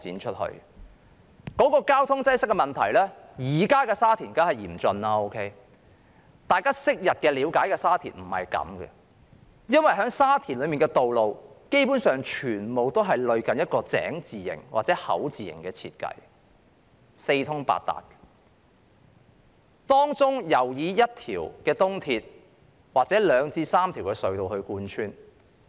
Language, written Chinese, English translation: Cantonese, 說到交通擠塞的問題，現在的沙田當然情況嚴峻，但大家了解昔日的沙田並非如此，因為沙田的道路基本上全部類近井字型或口字型設計，四通八達，當中尤以一條東鐵或兩至三條隧道貫穿。, Traffic congestion in Sha Tin nowadays is certainly serious but this was not the case in the Sha Tin of those years known by us . The reason is that roads in Sha Tin were planned as a grid system and well connected . In particular the East Rail Line and two or three tunnels traverse the district